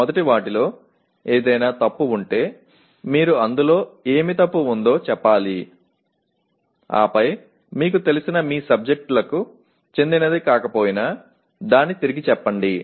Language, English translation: Telugu, If they are, first of all if something is wrong with them you have to state what is wrong with them and then reword it though it may not belong to your subjects that you are familiar with